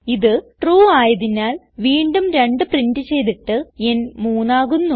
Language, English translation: Malayalam, since it is true, again 2 is printed and n becomes 3